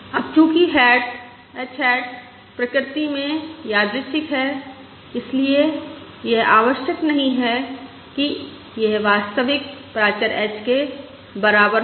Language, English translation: Hindi, Now, since h hat is random in nature, it is not necessary that it is equal to true parameter h